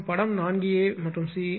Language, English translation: Tamil, And figure 4 a and c